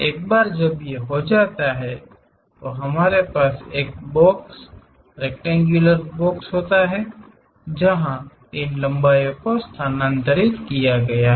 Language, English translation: Hindi, Once it is done we have a box, rectangular box, where these lengths have been transferred